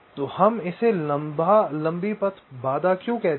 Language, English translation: Hindi, so why do we call it a long, long path constraint